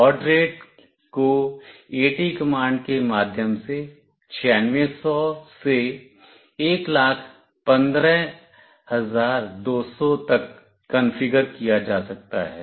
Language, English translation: Hindi, The baud rate can be configured from 9600 to 115200 through AT commands